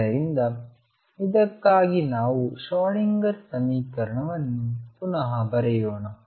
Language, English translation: Kannada, So, let us rewrite the Schrodinger equation for this